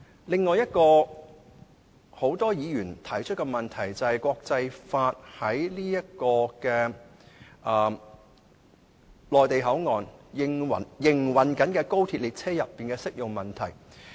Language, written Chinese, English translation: Cantonese, 另一個很多議員提出的問題，便是國際法在內地口岸區營運中的高鐵列車車廂內的適用問題。, Another question raised by many Members concerns the application of international laws inside a compartment of an XRL train in operation in the Mainland Port Area MPA